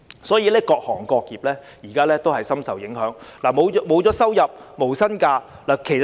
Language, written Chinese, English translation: Cantonese, 所以，現時各行各業也深受影響，僱員沒有收入或要放無薪假。, Therefore various trades and industries are greatly affected now and the employees do not have income or have to take no - pay leave